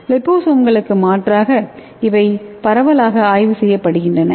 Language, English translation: Tamil, And these are the widely studied as an alternative to liposomes